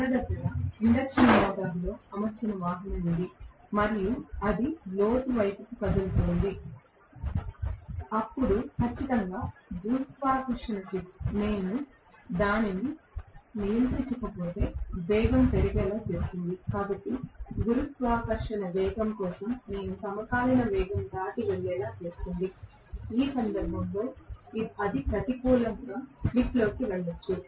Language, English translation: Telugu, If let us say, I have a vehicle which is fitted with induction motor right and it is moving downhill, then definitely the gravity will make the speed go up unless I control it, so the gravity can make the speed go up beyond whatever is the synchronous speed also for what you know, in which case it can go into slip being negative